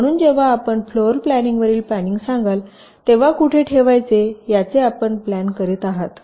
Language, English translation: Marathi, so when you say floor planning, you are planning where to place the gates